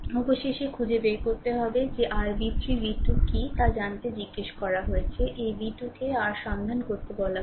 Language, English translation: Bengali, Finally you have to find out that what is your v 3 v 2 has been asked to find out right these v 2 has been asked to find out your find out